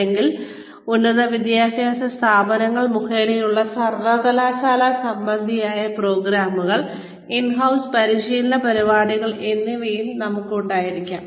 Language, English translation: Malayalam, Or, we could also have, university related programs, in house training programs, by institutes of higher education